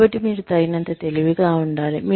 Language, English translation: Telugu, So, you need to be intelligent enough